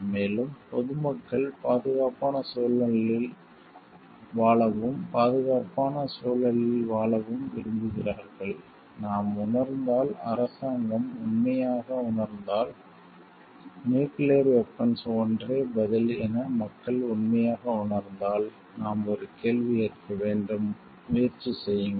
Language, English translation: Tamil, And the public want to live a safe environment, live in a safe environment and if we feel, if the government truly feels and if the people truely feel like the nuclear weapon is the only answer, then we have to ask a question have it try it for other alternatives yes or no